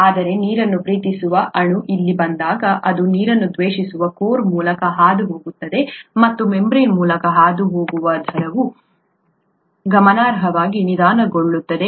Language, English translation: Kannada, But when water loving molecule comes here it needs to pass through a water hating core and the rates of pass through the membrane would be slowed down significantly